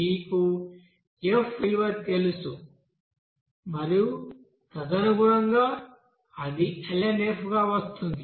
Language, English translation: Telugu, You know that f value and accordingly it will be coming us ln f